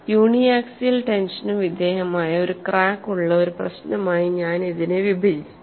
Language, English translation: Malayalam, We will split this as one problem where we have a crack which is subjected to uniaxial tension